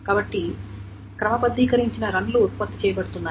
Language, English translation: Telugu, So what is being done is sorted runs are produced